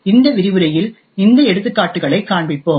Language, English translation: Tamil, So we will demonstrate these examples in this lecture